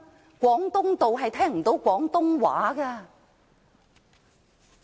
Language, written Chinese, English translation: Cantonese, 在廣東道是聽不到廣東話的。, We could hardly hear anyone speaking Cantonese along Canton Road